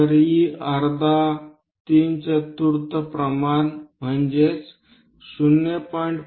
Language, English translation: Marathi, If e is equal to half three fourth ratio 0